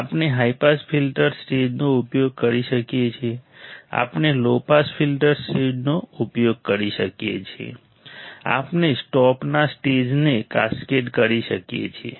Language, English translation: Gujarati, We can use high pass filter stage, we can use low pass filter stage, we can cascade both the stages